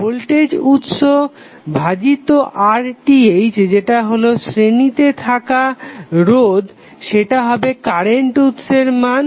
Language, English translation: Bengali, That the voltage source divided by the R Th that is the resistance in series would be nothing but the value of current source here